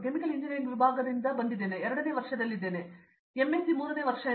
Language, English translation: Kannada, from Chemical Engineering Department I am into my second year, I mean third year of MS